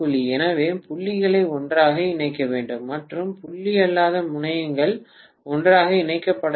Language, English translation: Tamil, So the dots have to be connected together and the non dot terminals have to be connected together